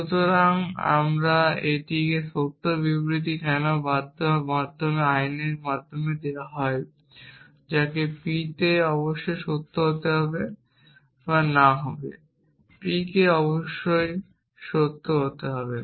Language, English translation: Bengali, So, this is a true statement why because of the law of excluded middle either p must true or not p must be true